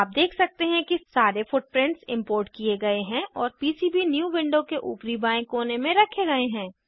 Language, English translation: Hindi, You can see that all the footprints are imported and placed in top left corner in PCBnew window